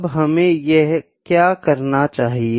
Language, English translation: Hindi, What we need to do